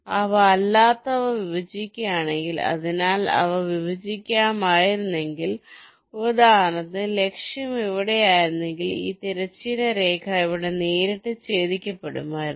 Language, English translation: Malayalam, so if they would have intersected, i would have, for, for example, if the target was here, then this horizontal line would have intersected here directly